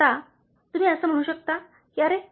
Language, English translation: Marathi, Now, you may say that, Oh